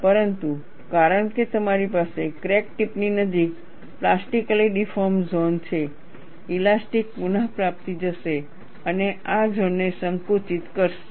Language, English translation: Gujarati, But because you have plastically deformed zone near the crack tip, the elastic recovery will go and compress this zone